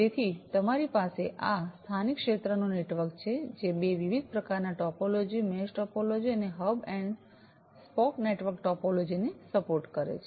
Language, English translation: Gujarati, So, you have this local area network, which supports two different types of topologies, the mesh topology and the hub and spoke network topology